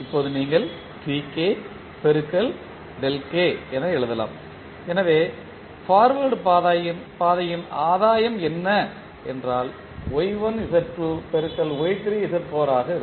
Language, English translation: Tamil, Now you can write Tk into delta k, so what is the forward path gain you have Y1 Z2 into Y3 Z4